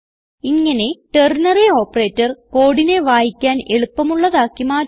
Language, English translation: Malayalam, This is when ternary operator makes code simpler